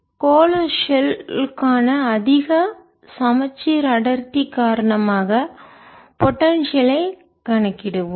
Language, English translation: Tamil, will calculate the potential due to a high symmetric density for spherical shell